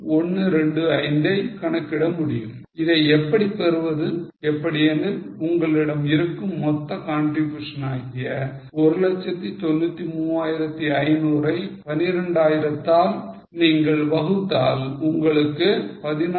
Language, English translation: Tamil, 125 how to get because one the total contribution which you must earn is 193 500 divided by 12,000 will give you 16